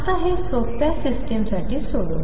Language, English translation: Marathi, Now let us solve this for a simple system